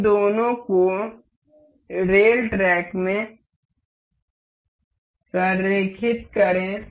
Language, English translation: Hindi, Align these two in the rail track